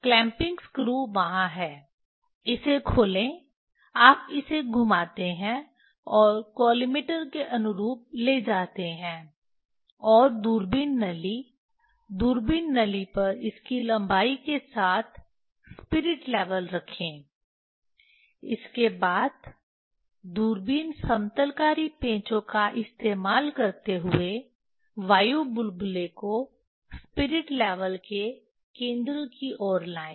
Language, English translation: Hindi, clamping screw are there, unlock it, you rotate it and take in line with the collimator, and place the spirit level on the telescope tube telescope tube along its length, along its length, then used telescope leveling screw to bring the air bubble towards the centre of the spirit level